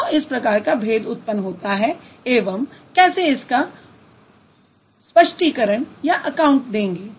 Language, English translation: Hindi, Why such kind of difference occurs and how to account for this why